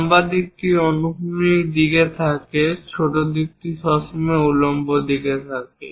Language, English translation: Bengali, Usually, we keep a longer side in the horizontal direction and the vertical shorter side